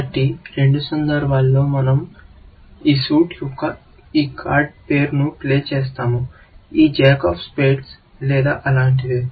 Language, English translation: Telugu, So, in both instances, we will play this card name s of this suit; play this jack of spade, something like that